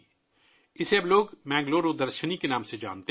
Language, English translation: Urdu, Now people know it by the name of Bengaluru Darshini